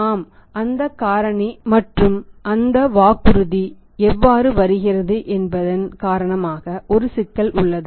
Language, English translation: Tamil, Yes there is a problem because of that tax factor and how that promise comes up in the way